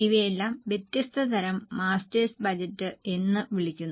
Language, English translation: Malayalam, All these are called as different types of master's budget